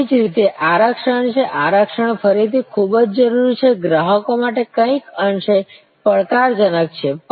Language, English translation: Gujarati, Similarly, there are reservations, reservation are again very necessary, somewhat challenging for the customers